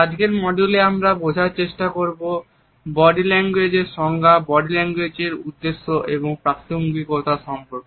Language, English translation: Bengali, In today’s module, we would try to understand the basic definitions of body language, the scope and relevance